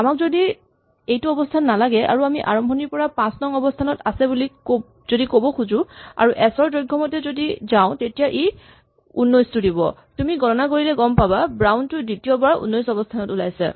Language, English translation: Assamese, If on the other hand I do not want this position, but I wanted to say starting from position 5 and going to length of s for example, then it will say 19 and if you count you will find that the second occurrence of brown is at position 19